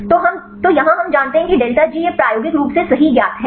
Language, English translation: Hindi, So, here we know the delta G this experimentally known right